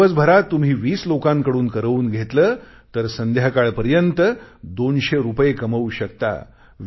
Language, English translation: Marathi, If you involve twenty persons in a day, by evening, you would've earned two hundred rupees